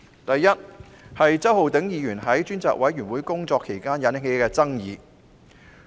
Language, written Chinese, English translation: Cantonese, 第一，周浩鼎議員在專責委員會工作期間引起爭議。, First Mr Holden CHOWs work at the Select Committee has aroused controversy